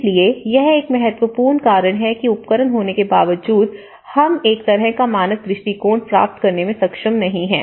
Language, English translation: Hindi, So, this is one of the important draw back despite of having tools why we are not able to get a kind of standard approach